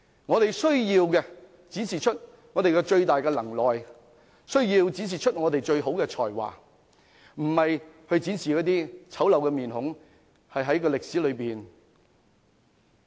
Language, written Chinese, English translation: Cantonese, 我們需要的是展示我們最大的能耐和最好的才華，而非展示醜陋的面孔，留存歷史。, We have to demonstrate our greatest ability and best talents instead of imprinting our ugly face on history